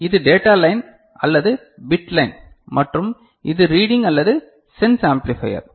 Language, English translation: Tamil, And this is the data line or the bit line and this is the reading or sense amplifier